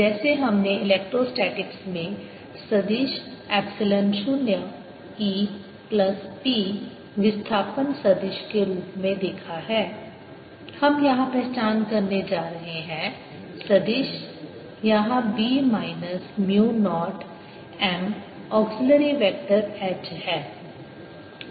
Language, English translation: Hindi, just like we identified an electrostatics, this vector, epsilon zero e plus p, as it is placement vector, we are going to identify here, this vector, here b minus mu naught m, as an auxiliary vector